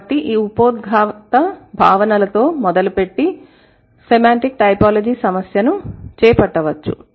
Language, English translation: Telugu, Okay, so let's start from the, let's take up the issue of semantic typology from this introductory concepts